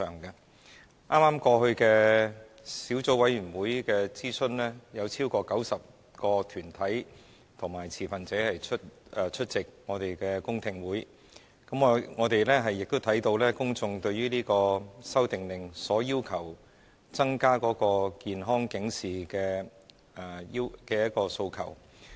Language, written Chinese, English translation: Cantonese, 在剛過去的小組委員會諮詢中，有超過90個團體及持份者出席我們的公聽會，我們亦看到公眾對這項《修訂令》所要求增加健康警示的各種訴求。, Over 90 deputations and stakeholders attended a public hearing held by the Subcommittee to consult public views on the issue . Besides we can see that the public have various requests in respect of enlarging the area of the health warning proposed under the Order